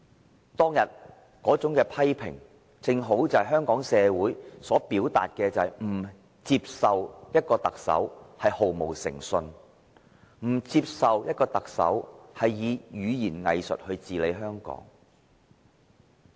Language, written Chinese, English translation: Cantonese, 他當日那種批評，正正是香港社會要表達的，就是不接受特首毫無誠信，不接受特首以語言"偽術"來治理香港。, The criticism he made back then is exactly what Hong Kong society wanted to express . We cannot accept a Chief Executive who lacks credibility and governs Hong Kong with hypocritical rhetoric